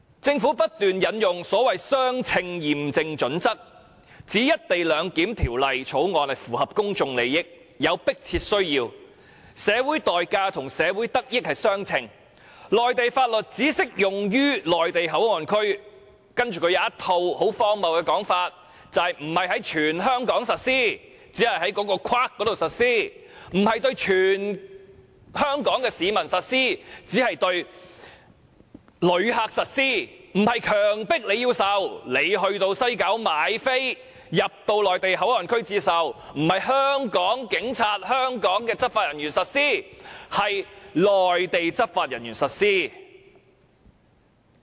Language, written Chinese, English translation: Cantonese, 政府不斷引用所謂的相稱驗證準則，指《條例草案》符合公眾利益，有迫切需要，社會代價與得益相稱，內地法律只適用於內地口岸區，並荒謬地指內地法律不是在全香港實施，僅是在指定範圍內實施而已；不會對全香港市民實施，只會對旅客實施；不會迫所有人接受，只是那些在西九站購票進入內地口岸區的人才要接受；不是由香港的警察或執法人員實施，而是由內地的執法人員實施。, The Government has repeatedly cited the so - called proportionality test to show that the Bill serves societal interests has a pressing need and the social cost is proportionate to the social benefit . The Government has also ridiculously stated that Mainland laws would only be applied in MPA and not over the territory of Hong Kong . The Mainland laws would only be applied in the designated area; they would not be applied to all Hong Kong people but only to visitors; not everyone would be compelled to accept the Mainland laws only those who have bought tickets at the West Kowloon Station and entered MPA would have to accept Mainland laws and that law enforcement actions would be taken by Mainland law enforcement officers but not by Hong Kong Police or law enforcement officers